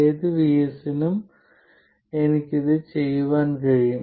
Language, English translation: Malayalam, I can do this for any VS, right